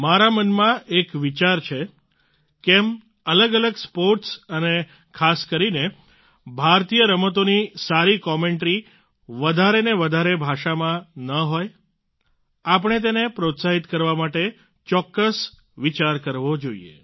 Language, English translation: Gujarati, I have a thought Why not have good commentaries of different sports and especially Indian sports in more and more languages, we must think about encouraging it